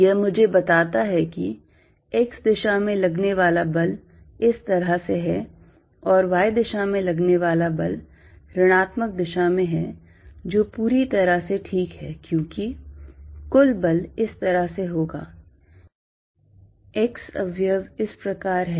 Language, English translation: Hindi, It tells me that force in the x direction is this way, and force in the y direction, is in the minus direction, which is perfectly fine because the net force is going to be like this, x component like this and y component like this